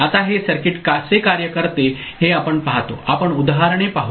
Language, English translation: Marathi, Now we see how this circuit works how this circuit works we shall go through examples